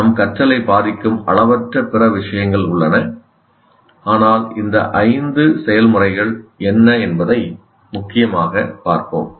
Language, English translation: Tamil, There are endless number of other things that influence our learning, but we'll mainly look at what these five processes are